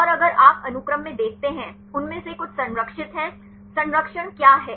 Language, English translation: Hindi, And if you look into the sequence; some of them are conserved, what is the conservation